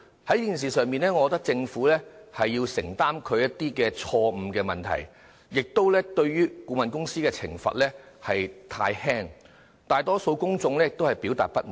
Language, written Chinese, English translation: Cantonese, 在這件事上，我認為政府必須承擔其錯誤，顧問公司的懲罰也太輕，大多數公眾均表示不滿。, Insofar as the incident is concerned I think the Government must bear the blame . Besides the punishment for the consultancy is too lenient and the majority public considers this unsatisfactory